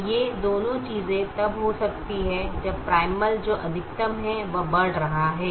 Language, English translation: Hindi, so both these things can happen when the primal, which is maximization, is increasing